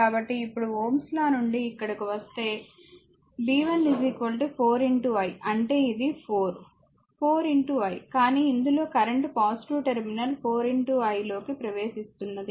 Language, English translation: Telugu, So, if you now if you from ohms' law, if you come here this one, b 1 is equal to 4 into i , that is your this is 4, 4 into i , but in this that is current entering into the positive terminal 4 into i